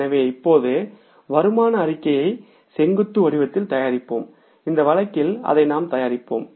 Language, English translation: Tamil, So, let's prepare now the income statement in the vertical format and in this case we will prepare that